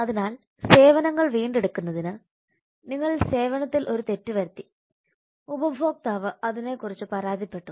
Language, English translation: Malayalam, So in order to recover a services you have made a mistake in the service and the customer has complained about that